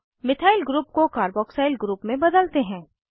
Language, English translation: Hindi, Let us convert a methyl group to a carboxyl group